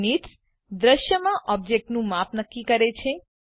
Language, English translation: Gujarati, Units determines the scale of the objects in the scene